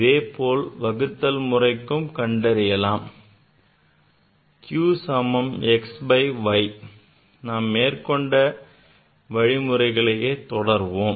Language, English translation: Tamil, Similarly, if you choose for this division; q equal to x by y, if you proceed same way